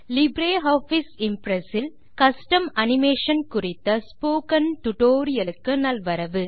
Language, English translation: Tamil, Welcome to the Spoken Tutorial on Custom Animation in LibreOffice Impress